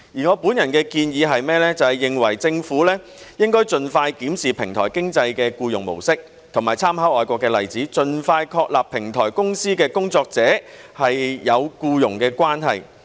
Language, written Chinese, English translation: Cantonese, 我本人的建議是，政府應該盡快檢視平台經濟的僱用模式，以及參考外國的例子，盡快確立平台公司與平台工作者是有僱傭關係。, My personal recommendation is that the Government should expeditiously review the mode of employment under the platform economy and affirm the presence of an employment relationship between platform companies and platform workers with reference to overseas examples